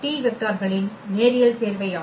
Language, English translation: Tamil, So, all these vectors are linearly independent